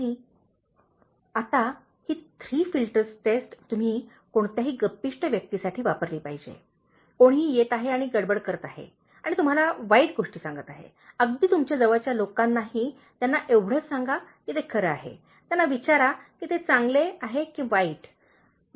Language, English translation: Marathi, ” Now, this is the Three Filters Test you should use with any gossipers, anybody is coming and rushing and telling you bad things about, even your close people, just tell them whether it is true, ask them whether it is a good or bad one